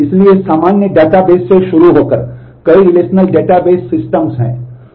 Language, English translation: Hindi, So, starting with the common databases, there are several relational database systems